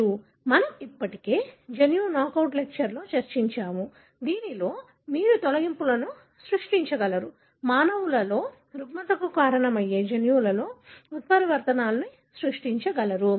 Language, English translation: Telugu, That we have discussed already in the gene knockout lecture, wherein you are able to create deletions, create mutations in the gene that cause disorder in the human